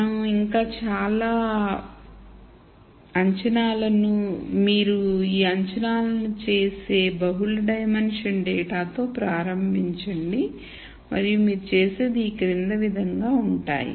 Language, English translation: Telugu, So, you start with multi dimensional data you make these assumptions and then what you do is the following